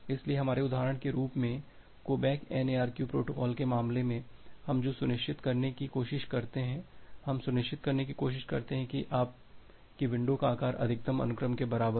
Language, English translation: Hindi, So, that as an example in case of our go back N ARQ protocol what we try to ensure, we try to ensure that your windows size is equal to max sequence